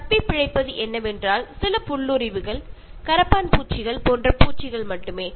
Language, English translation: Tamil, What will survive is, only some creepers, insects such as cockroaches